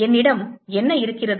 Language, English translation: Tamil, what do we have